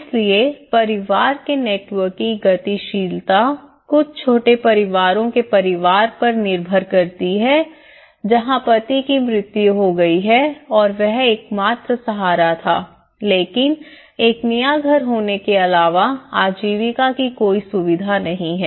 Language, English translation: Hindi, So, the dynamics of the family networks have very dependent on family to family for some small families of where husband died and he is the only support but despite of having a new house but there is no livelihood facility